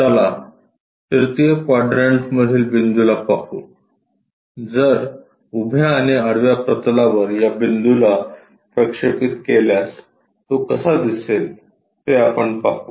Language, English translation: Marathi, Let us look at a point in 3rd quadrant, if it is projected onto these planes vertical plane and horizontal plane how it looks like